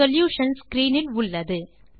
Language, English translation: Tamil, The solutions are on your screen